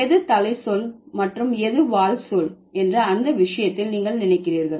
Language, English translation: Tamil, Which one is the head word and which one is the tail word for that matter